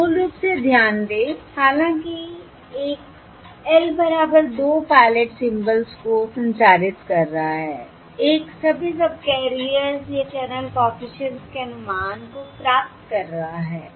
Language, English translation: Hindi, that is, although one is transmitting L, equal to 2 pilot symbols, one is octane the estimates of channel coefficients on all the subcarriers